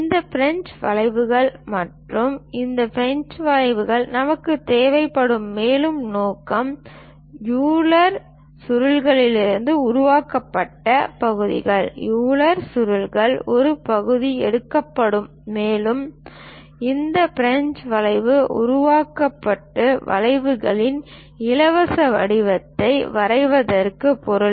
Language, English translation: Tamil, Further purpose we require this French curves and this French curves are segments made from Euler spirals; part of the Euler spiral will be taken, and this French curve will be made and meant for drawing free form of curves